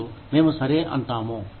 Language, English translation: Telugu, And, we say okay